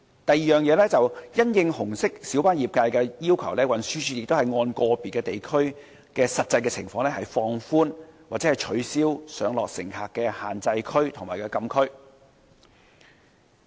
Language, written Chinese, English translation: Cantonese, 第二，因應紅色小巴業界的要求，運輸署亦會按個別地區的實際情況放寬或取消上落乘客的限制區及禁區。, Secondly TD has relaxed or rescinded prohibited zones and no stopping for passenger pick updrop - off restricted zones at the request of the red minibus RMB trade and in the light of the actual situation of the locations concerned